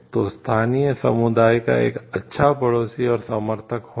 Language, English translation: Hindi, So, being a good neighbour to and supporter of the local community